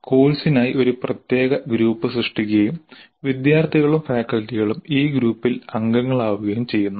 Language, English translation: Malayalam, A specific group is created for the course and the students and the faculty are members of this group